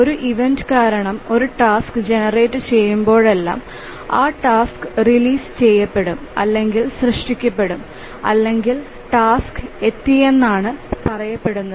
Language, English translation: Malayalam, So whenever a task gets generated due to an event, we say that the task is released or is generated or we even say that task has arrived